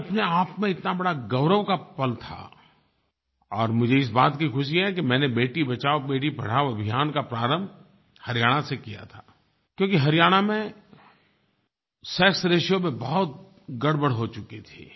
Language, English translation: Hindi, This was a huge moment of pride in itself and I am happy for the fact that I started 'Beti Bachao Beti Padhao' from Haryana where as the sexratio worsened